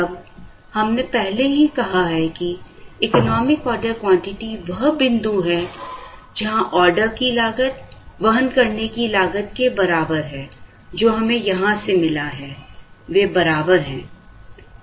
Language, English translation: Hindi, Now, we have already said that, the economic order quantity is the point, where the order cost is equal to the carrying cost, which we got from here, they are equal